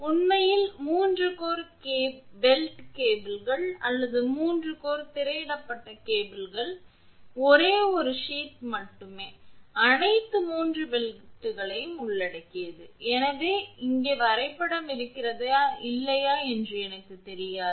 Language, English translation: Tamil, Actually, that in a 3 core belted cables or 3 core screened cables with only a single sheath covering all the 3 belts, I do not know whether I have diagram here or not